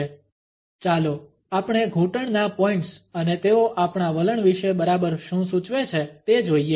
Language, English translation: Gujarati, Let us look at the knee points and what exactly do they signify about our attitudes